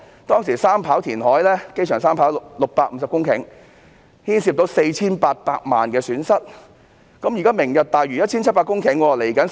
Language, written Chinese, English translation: Cantonese, 機場三跑填海工程填海650公頃，涉及 4,800 萬元損失，作出賠償也是應該的。, The three - runway system project in the airport involves 650 hectares of reclamation and a loss of 48 million . Hence compensation should be made